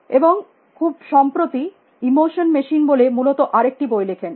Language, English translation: Bengali, And more recently book all the emotion machine essentially